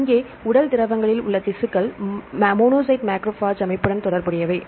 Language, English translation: Tamil, So, here the tissues in body fluids are associated with the monocyte macrophage system